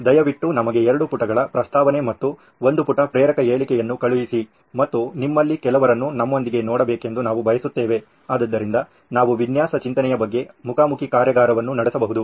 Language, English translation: Kannada, Please send us a two page proposal and a one page motivational statement and we hope to see some of you with us so we can do a face to face workshop on design thinking